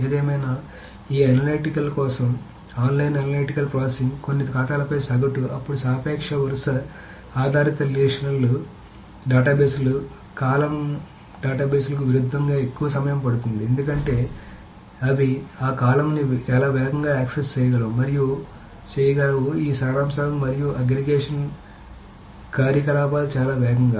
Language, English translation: Telugu, However, for this analytical online analytical processing, what happens is the suppose you are trying to find out the summary of certain things, the average over all balance, all accounts, then the relational databases, the traditional row based relational databases will take a longer time as opposed to columner databases because they access that column much faster and can do these summaries and aggregation operations much faster